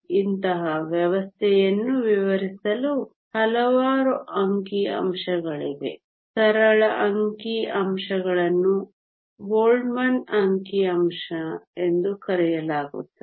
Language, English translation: Kannada, There are a number statistics for describing such a system the simplest statistics is called the Boltzmann statistic